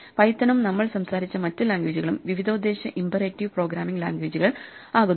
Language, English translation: Malayalam, So, Python and other languages we have talked about are what are called imperative programming languages